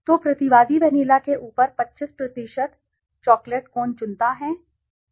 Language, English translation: Hindi, So, the respondent chooses 25 cent chocolate cone over the vanilla